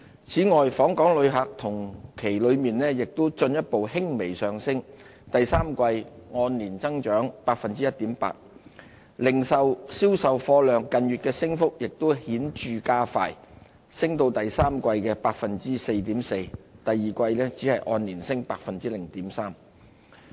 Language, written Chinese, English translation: Cantonese, 此外，訪港旅客同期進一步輕微上升，第三季按年增長 1.8%， 零售銷售貨量近月的升幅亦顯著加快，第三季按年升 4.4%； 第二季按年升 0.3%。, Meanwhile the number of visitor arrivals continued to go up slightly by 1.8 % in the third quarter over a year earlier . Retail sales in recent months also grew at a faster pace of 4.4 % year - on - year in the third quarter after a 0.3 % growth in the preceding quarter